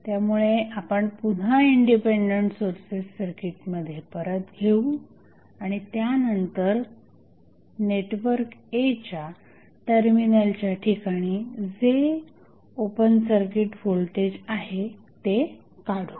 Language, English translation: Marathi, So, we will again put the Independent Sources back to the circuit, and then we will find the voltage that is open circuit voltage across the terminal of network A